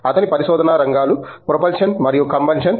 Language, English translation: Telugu, His areas of research are Propulsion and Combustion